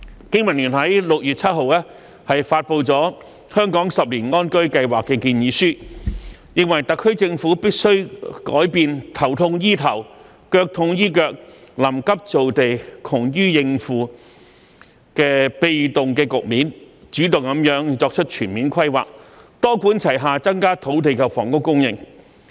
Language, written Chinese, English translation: Cantonese, 經民聯於6月7日發布了《香港十年安居計劃》建議書，認為特區政府必須改變"頭痛醫頭，腳痛醫腳、臨急造地、窮於應付"的被動局面，主動作出全面規劃，多管齊下增加土地及房屋供應。, On 7 June BPA released a 10 - year housing plan for Hong Kong proposing that the SAR Government should change its current passive role which formulates piecemeal policies to deal with problems on an ad hoc basis and create land in a rush for the sake of expediency into an active and comprehensive planning role to increase land and housing supply through a multi - pronged approach